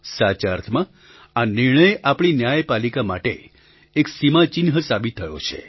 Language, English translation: Gujarati, In the truest sense, this verdict has also proved to be a milestone for the judiciary in our country